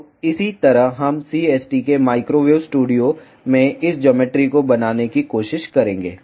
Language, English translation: Hindi, So, in the similar way we will try to make this geometry in CST microwave studio